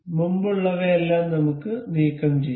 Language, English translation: Malayalam, Let us remove all these earlier ones